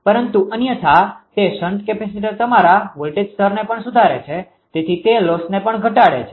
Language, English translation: Gujarati, But otherwise that shnt capacitor also improves the your voltage level, so it also reduces the losses